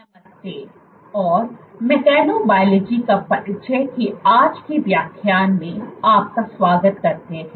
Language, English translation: Hindi, Hello and welcome to today’s lecture of Introduction to Mechanobiology